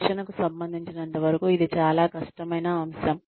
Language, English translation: Telugu, Training is also a very difficult activity